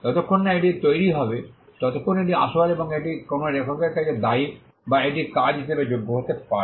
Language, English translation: Bengali, As long as it is created, it is original, and it is attributed to an author it can qualify as a work